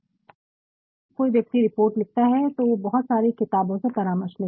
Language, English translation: Hindi, And, then while one does a report or writes a report one consults so, many books